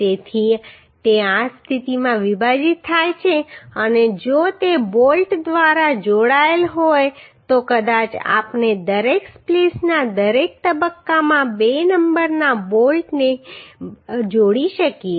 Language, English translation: Gujarati, So it is spliced in this position and if it is connected by bolt then maybe we can connect two numbers of bolt at each phase of each splice right